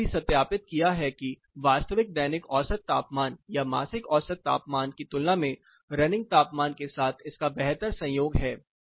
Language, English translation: Hindi, We have also verified the same thing it has a better coincidence with the running mean temperature compared to the actual daily mean temperature or monthly mean temperature